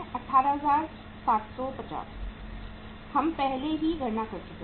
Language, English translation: Hindi, 18,750 we have already calculated